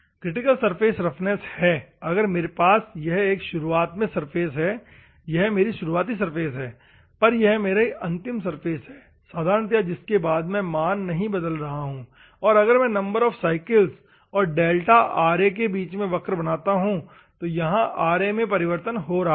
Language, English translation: Hindi, So, the critical surface roughness is if I have an initial surface, this is my initial surface and this is my final surface normally beyond which if the value is not changing assume that if I want to draw a curve between the number of cycles versus delta Ra, it is changing in Ra